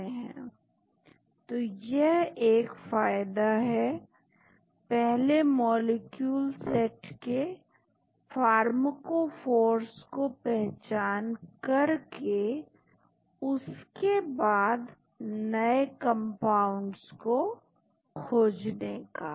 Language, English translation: Hindi, That is the advantage of first identifying pharmacophores of a set of molecules and then later on identify new compounds